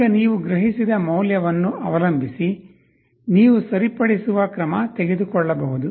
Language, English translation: Kannada, Now depending on the value you have sensed, you can take a corrective action